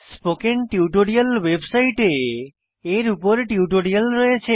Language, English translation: Bengali, The Spoken Tutorial website has spoken tutorials on these topics